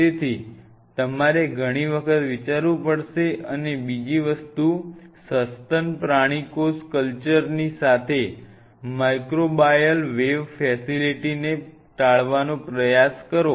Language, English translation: Gujarati, So, you have to think several times and another thing try to avoid or close proximity of a microbial wave facility along with the mammalian cell culture, try to avoid it